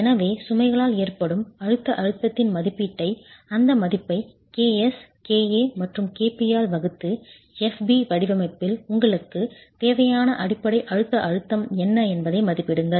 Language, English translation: Tamil, So, make an estimate of the compressive stress due to the loads, divide that value by KS, KP and KA and get an estimate of what the basic compressive stress you require is in the design FB